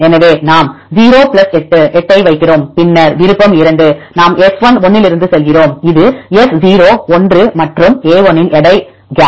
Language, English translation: Tamil, So, we put 0 + 8 = 8, then option 2 we go from S1,1, that is equal to S0,1 plus weight of a1, gap